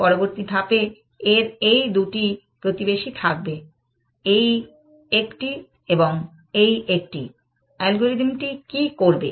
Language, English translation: Bengali, Next step, this will have these two neighbors, this one and this one, what will the algorithm do